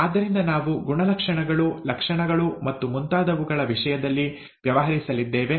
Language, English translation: Kannada, So we are going to deal in terms of characters, traits and so on